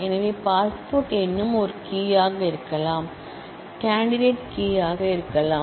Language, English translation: Tamil, So, passport number could also be a key, could be a candidate key